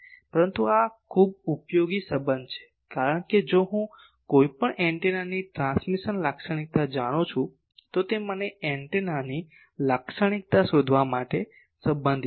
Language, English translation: Gujarati, But this is a very useful relation because, if I know transmission characteristic of any antenna, this relates me to find the receiving characteristic of the antenna